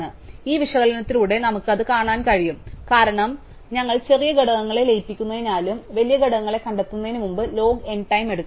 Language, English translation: Malayalam, So, with this analysis we can see that, because we are merging smaller components and to larger components find will take log n time